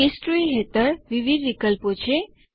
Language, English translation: Gujarati, Under History, there are many options